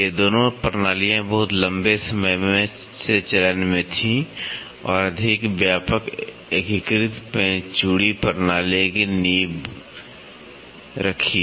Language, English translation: Hindi, Both these systems were in practice for a very long time and laid the foundation for more comprehensive unified screw thread system